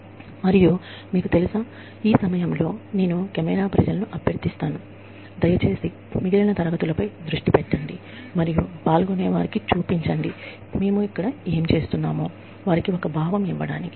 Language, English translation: Telugu, And, you know, at this point, I would request the camera people to, please, just focus on the rest of the class, and show the participants, what we are doing here